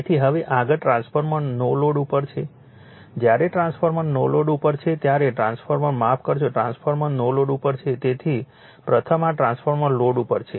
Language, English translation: Gujarati, So, now next is a transformer on no load, right when transformer sorry transformer on load when transformer is on load, so firstthis transformer on load